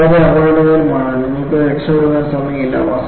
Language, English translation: Malayalam, It is very dangerous; there is not even time for you to escape out